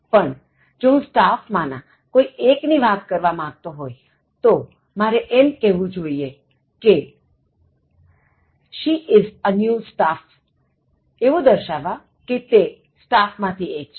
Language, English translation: Gujarati, But, if I refer to one of the staff, I would say she is a new staff indicating that she is one of the staff